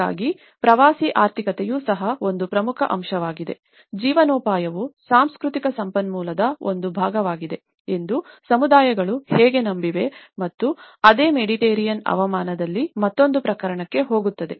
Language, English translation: Kannada, So, that is where, the tourist economy is also an important aspect, how communities have believed that the livelihood is also a part of cultural resource and will go to another case in the same Mediterranean climate